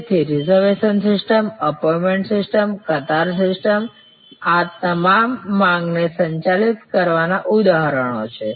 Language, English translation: Gujarati, So, reservation system, appointment system, queue system these are all examples of managing demand